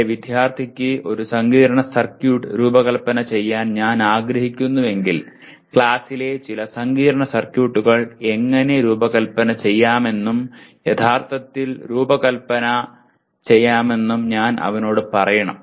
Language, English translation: Malayalam, If I want my student to be able to design a complex circuit, I must tell him how to design and actually design some complex circuits in the class taking realistic specifications of the same